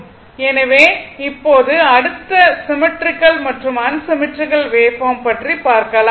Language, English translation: Tamil, So now, next is that symmetrical and unsymmetrical wave forms